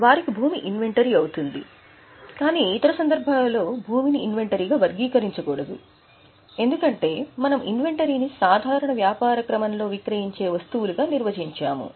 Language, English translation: Telugu, But other than them, then the land should be classified, should not be classified as inventory because we are defining it as items which are for sale in the normal course of business